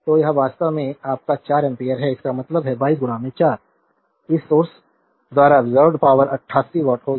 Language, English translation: Hindi, So, this is actually your 4 ampere so; that means, 22 into 4 the power absorbed by this source will be 88 watt